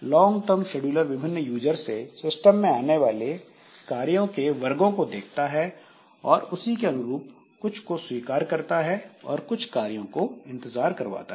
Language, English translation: Hindi, So, long term scheduler, it tries to find out the characteristic of the jobs that are coming for the system from different users and accordingly admit some of the jobs whereas making others to wait for some time to be admitted